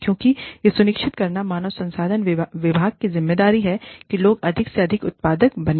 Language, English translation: Hindi, Because, it is the responsibility of the human resources department, to ensure that, people become more and more productive